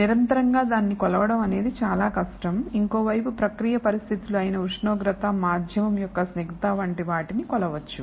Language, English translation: Telugu, This is very difficult to measure on line continuously or the other hand process conditions such as temperature, viscosity of the medium can be measured